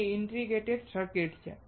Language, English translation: Gujarati, It is all integrated circuits